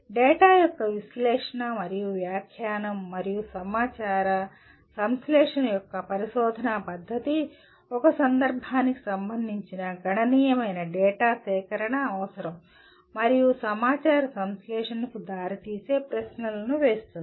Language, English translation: Telugu, The research method of analysis and interpretation of data and synthesis of information that requires a collection of significant amount of data related to a context and posing questions that can lead to synthesis of information